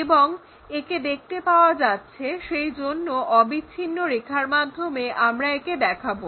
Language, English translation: Bengali, So, we show it by a continuous line